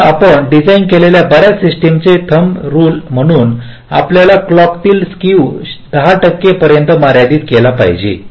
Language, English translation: Marathi, so, as a rule of thumb, most of the systems we design, we have to limit clock skew to within ten percent